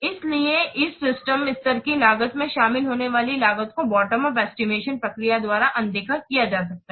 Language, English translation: Hindi, So, the cost that will be involved in these system level cost may be overlooked by this bottom of estimation process